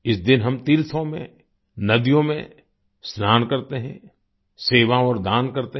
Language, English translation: Hindi, On this day, at places of piligrimages, we bathe and perform service and charity